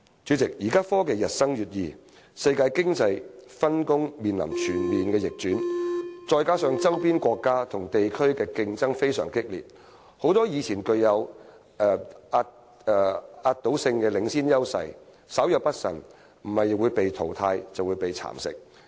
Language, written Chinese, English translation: Cantonese, 主席，現代科技日新月異，世界經濟分工面臨全面逆轉，加上周邊國家與地區的激烈競爭，很多以前具有壓倒性領先優勢的行業，稍有不慎，若非被淘汰，就是被蠶食。, President as a result of the rapid advancement of modern technology the division of labour in the global economy is facing a complete reversal and with fierce competition from neighbouring countries and regions many industries that used to have an overwhelming lead may be eliminated or eroded if they do not remain cautious at all times